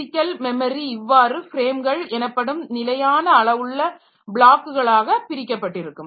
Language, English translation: Tamil, And divide the logical memory into blocks of same size as frames called pages